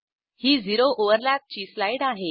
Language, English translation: Marathi, Here is a slide for zero overlap